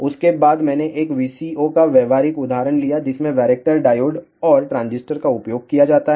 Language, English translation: Hindi, After that I took a practical example of a VCO which use varactor diodes and transistor